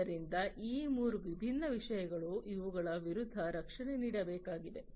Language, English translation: Kannada, So, these are the 3 different things against which the protections will have to be made